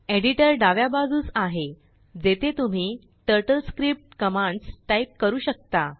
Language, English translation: Marathi, Editor is on the left, where you can type the TurtleScript commands